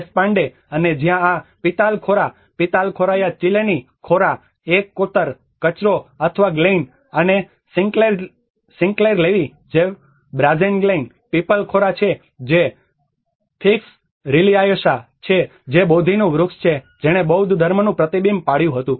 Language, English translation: Gujarati, Deshpande, and where there has been many names of this Pitalkhora, Pithalkhoraya ChiLeni, Khora, is a ravine, a gorge or a glein and Sinclair Levi which is a Brazen Glein, Pipal Khora which is Ficus religiosa which is a Bodhi tree which reflected the Buddhism